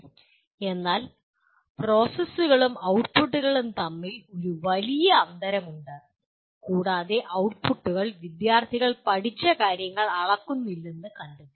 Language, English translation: Malayalam, So there is a large gap between processes and outputs and it was found the outputs did not necessarily measure what the students learnt